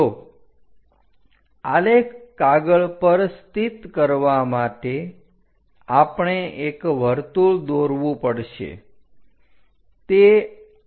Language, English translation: Gujarati, So, locate on the graph sheet with that we have to draw a circle